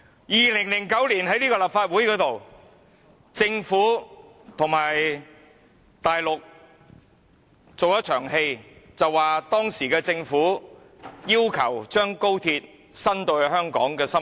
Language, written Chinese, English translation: Cantonese, 2009年，政府和大陸在立法會做了一場戲，當時的政府要求把高鐵延伸至香港的心臟。, In 2009 the SAR Government and the Central Government put on a show in the Legislative Council . The Government at the time wanted to extend the high - speed rail to the heart of Hong Kong and tabled a funding proposal to us in 2010